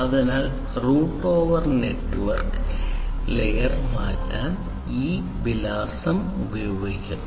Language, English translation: Malayalam, So, route over basically utilizes network layer IP address, ok